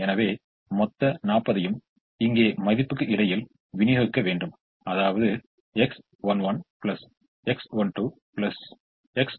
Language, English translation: Tamil, so all the forty has to be distributed between the value here, the value here and the value here: x one one plus x one, two plus x one